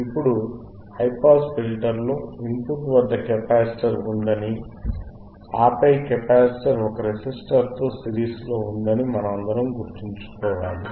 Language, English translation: Telugu, Now, we all remember, right, we should all remember that in high pass filter, there was capacitor at the input, and then capacitor was in series with a resistor